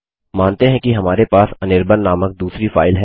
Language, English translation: Hindi, Say we have another file named anirban